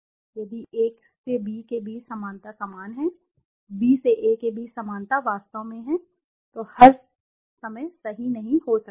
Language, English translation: Hindi, If A to B, the similarity between A to B is same as the similarity between B to A is actually, may not be correct all the time